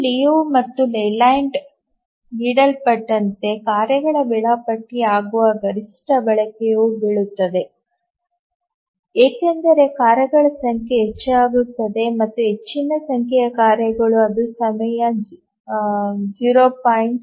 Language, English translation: Kannada, As given by this Liu and Leyland bound, the maximum utilization at which the tasks become schedulable falls as the number of tasks increases and for very large number of tasks it settles at around 0